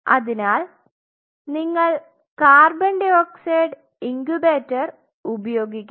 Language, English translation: Malayalam, So, you have to use the co 2 incubator